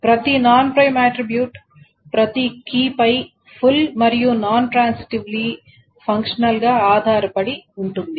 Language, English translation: Telugu, So, every non prime attribute is functionally transitively dependent on this